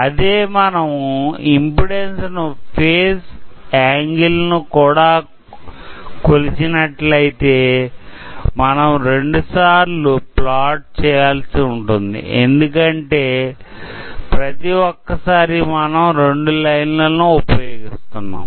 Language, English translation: Telugu, If we are plotting both impedance as well as phase angle, then we can plot it twice because we are using two lines each time